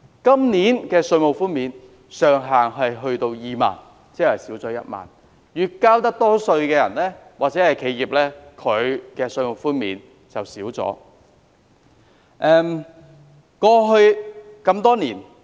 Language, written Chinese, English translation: Cantonese, 今年的稅務寬免上限是2萬元，即減少1萬元，意味交稅多的人或企業享受的稅務寬免有所減少。, The ceiling of tax reduction this year is 20,000 representing a decrease of 10,000 or a drop in the amount of tax reduction to be enjoyed by individual persons or enterprises that pay large amounts of taxes